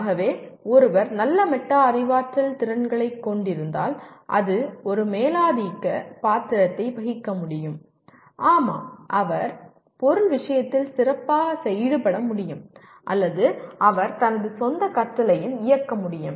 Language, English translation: Tamil, So as one can see it can play a dominant role if one has good metacognitive skills; yes, he can/ he will engage better with the subject matter or he can also direct his own learning